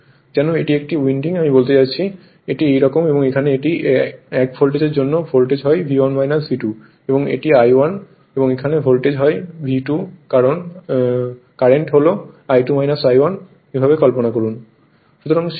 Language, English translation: Bengali, As if this is one winding, as if this is another winding; I mean it is like this, it is like this and here it is voltage for this one voltage is your V 1 minus V 2 and current is your I 1 and here voltage is V 2 current is I 2 minus I 1 this way imagine right